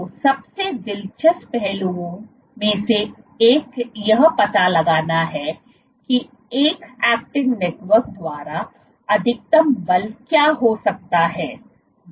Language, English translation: Hindi, So, one of the most interesting aspects is to find out what is the maximum force that can be exerted by an actin network